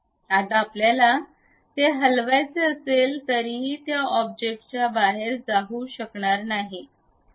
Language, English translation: Marathi, Now, even if you want to really move it, they would not move out of that object